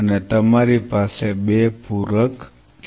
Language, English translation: Gujarati, And you have 2 supplement